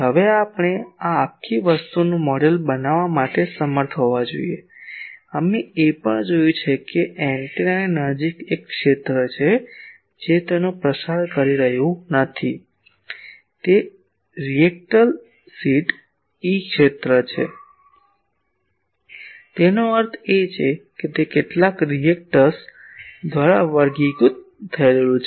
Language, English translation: Gujarati, So, now we should be able to model this whole thing; also we have seen that near the antenna there is a field which is not propagating it is a reactive field; that means, it should be characterized by some reactance